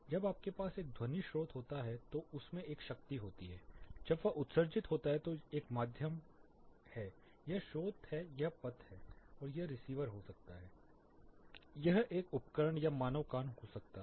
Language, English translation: Hindi, When you have a sound source it is having a power, when it is emitting there is a medium this is source this is path and it can be receiver can be an instrument or human ear